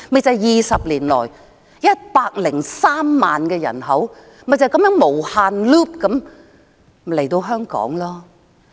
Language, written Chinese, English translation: Cantonese, 在20年來 ，103 萬的人口便是這樣"無限 loop" 地來港。, In the past 20 years 1 030 000 people have come to Hong Kong in such an infinite loop